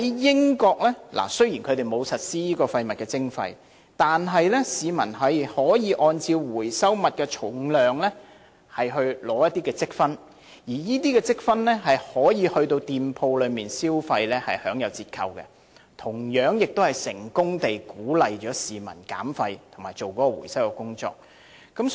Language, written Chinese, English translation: Cantonese, 英國雖然沒有實施廢物徵費，但市民可以按照回收物的重量取得積分，而這些積分可以到某些店鋪消費時使用並享有折扣，同樣也可成功鼓勵市民減廢和進行回收工作。, Although there is no waste charging system in the United Kingdom the residents can gain some points based on the weight of the recycled materials and can then enjoy discounts with these points upon spending in certain shops . Similarly this measure can also successfully encourage residents to reduce and recycle waste